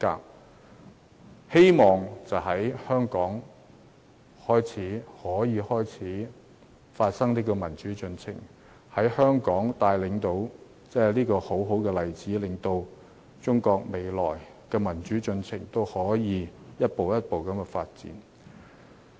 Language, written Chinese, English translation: Cantonese, 我希望可以藉香港發生的民主進程，成為一個好例子，引領中國未來的民主進程一步一步發展。, I also hope that through our democratic process Hong Kong can set a good example and lead Chinas gradual democratic process in the future